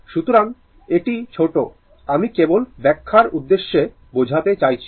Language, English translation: Bengali, So, it is short I mean just for the purpose of explanation